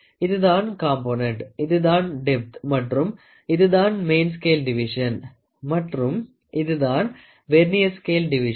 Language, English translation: Tamil, So, this is a component, this is the depth and again this is a main scale division and this is the Vernier scale division